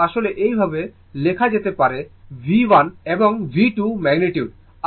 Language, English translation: Bengali, So, this is actually the way we write V 1 and V 2 are the magnitude, right